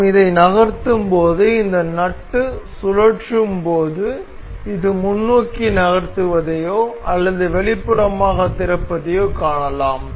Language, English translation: Tamil, So, as we move this we as we evolve this nut we can see this moving forward or opening it outward